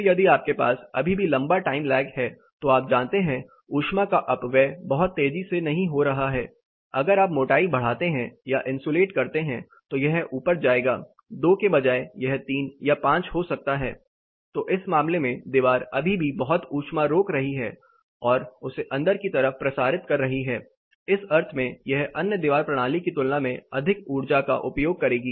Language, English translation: Hindi, Then if you still have a longer time lag you know your heat is not getting dissipated much faster as you increase the thickness insulate, it more this is going to go up instead of two it becomes 3 it may become 5 in that case the wall will still be holding lot of heat and getting back to the interiors, in that sense this is going to consume slightly more energy compare to the other wall system